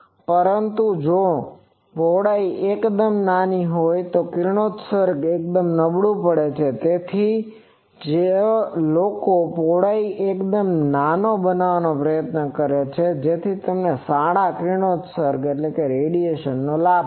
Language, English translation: Gujarati, But, if the width is quite large, then the radiation becomes quite poor, so that is why people try to make the width quite small, so that you get the benefit of good radiation